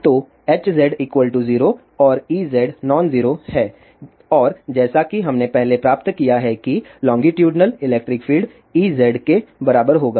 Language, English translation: Hindi, So, Hz is 0 and E z is non zero and as we have derived earlier that the longitudinal electric field will be E z, it is equal to this